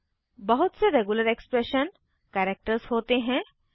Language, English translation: Hindi, There are a number of regular expression characters